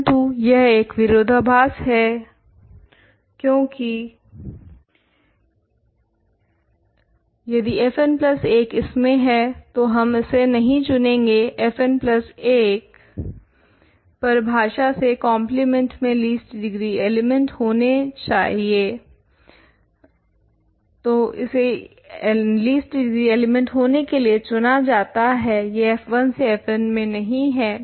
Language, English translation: Hindi, But, this is a contradiction because, this is a contradiction because, if f n plus 1 belongs to this we would not choose this, f n plus 1 is chosen to be a least degree element in the compliment in particular by definition, it does not belong to f 1 through f n